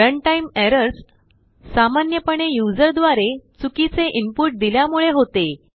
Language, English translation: Marathi, Runtime errors are commonly due to wrong input from the user